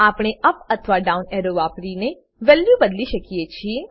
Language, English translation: Gujarati, Values can be changed by using the up or down arrows